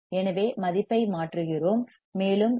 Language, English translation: Tamil, So, we substitute the value, and we get value of f equals to 318